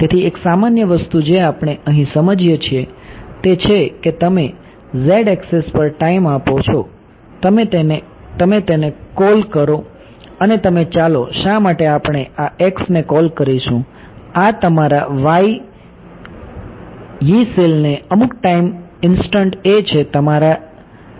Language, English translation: Gujarati, So, one common we have understanding things over here is you put time on the z axis, you call this let us see why and you call this x right this is your Yee cell at some time instant right, this can be your delta t can be this right